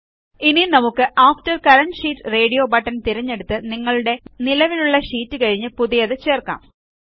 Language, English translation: Malayalam, Now let us select After current sheet radio button to insert a new sheet after our current sheet